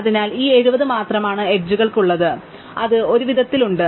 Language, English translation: Malayalam, So, the only edge left is this 70, so we have that any way